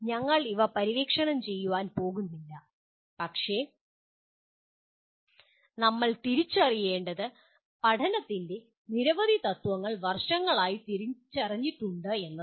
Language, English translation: Malayalam, We are not going to explore these things but all that we need to realize is there are several principles of learning that have been identified over the years